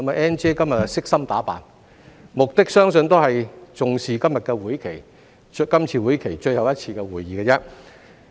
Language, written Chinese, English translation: Cantonese, "Ann 姐"今天悉心打扮，相信是因為重視今次會期的最後一次會議。, Sister Ann has dressed up to the nines today because I believe she values this very last meeting of the current - term Legislative Council